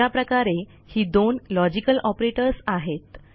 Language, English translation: Marathi, So these are the two logical operators